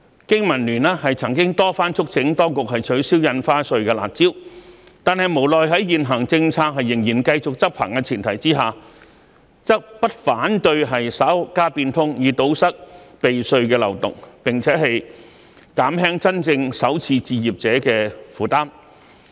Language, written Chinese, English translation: Cantonese, 經民聯曾經多番促請當局取消印花稅的"辣招"，但無奈在現行政策仍然繼續執行的前提之下，則不反對稍加變通，以堵塞避稅的漏洞，並且減輕真正首次置業者的負擔。, BPA has repeatedly urged the authorities to abolish the harsh measures in respect of stamp duty but on the premise that the existing policy would continue to be implemented we do not object to introducing minor modifications in order to plug the tax avoidance loopholes and to alleviate the burden on genuine first - time home buyers